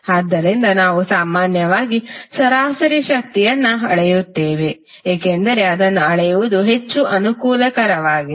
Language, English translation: Kannada, We measure in general the average power, because it is more convenient to measure